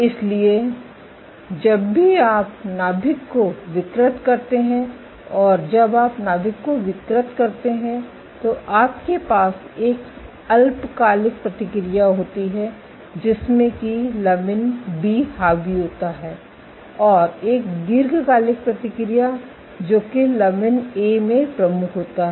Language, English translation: Hindi, So, your short term whenever you deform the nucleus when you deform the nucleus you have a short term response which is lamin B dominated, and a long term response which is lamin A dominated